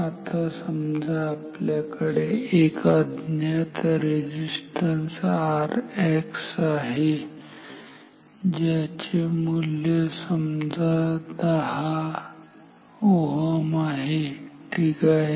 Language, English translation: Marathi, Now if we have an unknown resistance R X whose value is we know it is around say 10 say 10 ohm ok